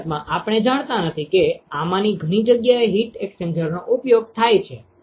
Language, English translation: Gujarati, In fact, we do not know that heat exchanger is used in several of these places